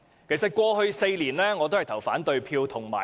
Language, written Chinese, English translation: Cantonese, 我在過去4年均有發言及投反對票。, I have spoken on and voted against the Vote on Account Resolution for the past four years